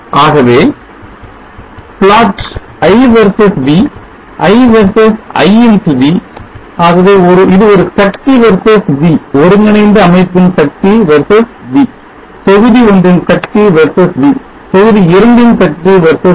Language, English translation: Tamil, So plot I versus v I x v so this is a power v v power of the combined system v V power of module one v V power of module 2 v V I have scaled I v V so that you have a much more nice looking graph